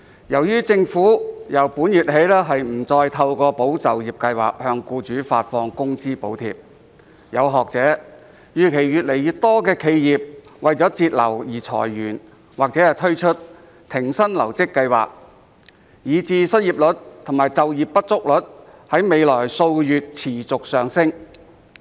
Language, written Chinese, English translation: Cantonese, 由於政府由本月起不再透過"保就業"計劃向僱主發放工資補貼，有學者預期越來越多企業為節流而裁員或推出停薪留職計劃，以致失業率及就業不足率在未來數月持續上升。, As the Government no longer from this month onwards provides employers with wage subsidies through the Employment Support Scheme some academics have predicted that more and more enterprises will lay off their staff or introduce no - pay leave schemes so as to manage costs thereby causing the unemployment rate and underemployment rate to rise continuously in the coming few months